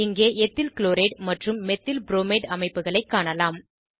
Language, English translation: Tamil, Here you can see EthylChloride and Methylbromide structures